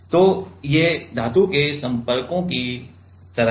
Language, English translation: Hindi, So, these are like metal contacts